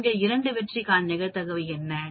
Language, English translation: Tamil, What is the probability for 2 success out of 4